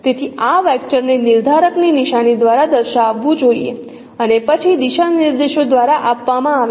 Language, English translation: Gujarati, So this vector should be represented by the sign of the determinant and then the directions are given by MR3